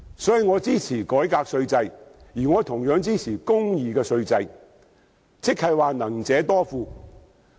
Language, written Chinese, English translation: Cantonese, 因此，我支持改革稅制，同樣支持公義的稅制，即能者多付。, Therefore I support a tax reform as well as a just tax regime and that is those who can pay more should pay more